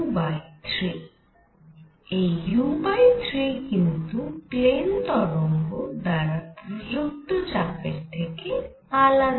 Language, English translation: Bengali, This u by 3 is different from the pressure applied by plane waves